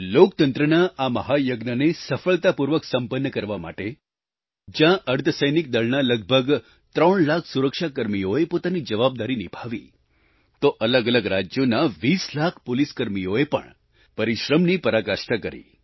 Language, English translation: Gujarati, In order to successfully conclude this 'Mahayagya', on the one hand, whereas close to three lakh paramilitary personnel discharged their duty; on the other, 20 lakh Police personnel of various states too, persevered with due diligence